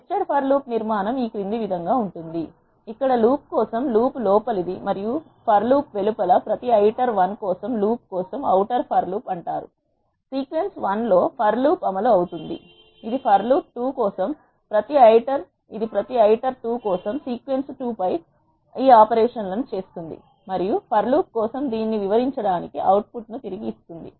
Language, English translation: Telugu, The structure of the nested for loop is as follows, the for loop here is an inner for loop and the for loop, outside is called outer for loop for every iter 1 in the sequence 1 this for loop will get executed , it will go to the for loop 2 where it will perform this operations on sequence 2 for every iter 2 and return the output to illustrate this for loop